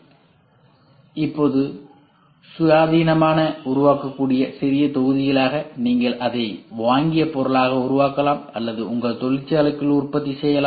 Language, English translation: Tamil, So, now, into smaller modules that can be independently created you can make it as a bought out item or you can do manufacturing inside your factory